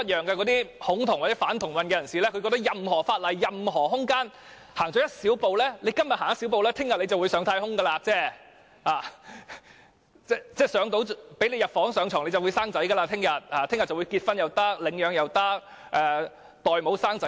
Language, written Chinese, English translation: Cantonese, 那些恐同或反同人士寸步不讓，認為任何法例、任何空間，只要今天踏出一小步，明天便會上太空；只要讓他們入房上床，明天便會生小孩，既可以結婚，也可以領養、找代母產子等。, Those people who are homophobic or anti - homosexual refuse to budge an inch thinking that a tiny step taken forward in any law or anywhere today will readily shoot us into space tomorrow . If we let them onto the bed they will have children tomorrow . They will be able to get married adopt children find surrogate mothers to give birth to babies etc